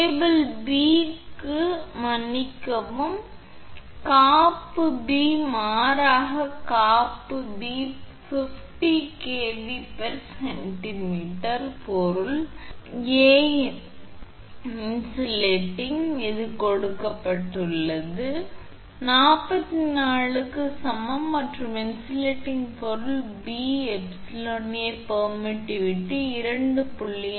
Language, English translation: Tamil, And for cable B, sorry insulation B rather insulation B 50 kilo volt per centimeter, for insulating material A; it is given epsilon A is equal to 4 and insulating material B epsilon B permittivity that is 2